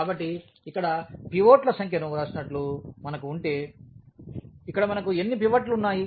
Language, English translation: Telugu, So, if we have like written here the number of pivots, so, here how many pivots we have